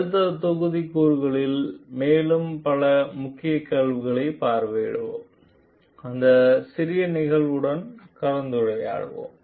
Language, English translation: Tamil, We will visit more of key questions in the next modules, discuss with these small cases